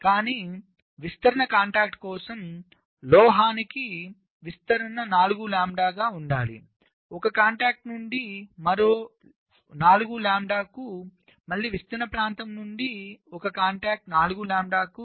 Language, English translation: Telugu, but for diffusion contact, diffusion to metal, the separation should be four lambda from one contact to the other, four lambda again, from diffusion region to a contact, four lambda